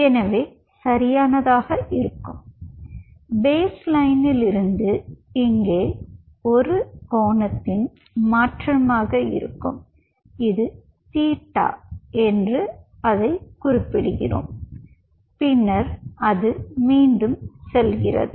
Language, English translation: Tamil, so your baseline, from the baseline there will be a shift of an angle out here, which is we denote it as by theta hold on and then again it goes back